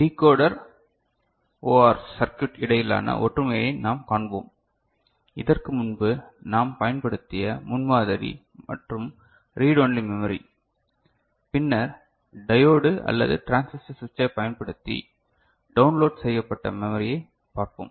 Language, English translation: Tamil, We shall see the similarity between Decoder OR circuit, the paradigm that we had used before and read only memory, then we shall see read only memory using developed using diode or transistor switch ok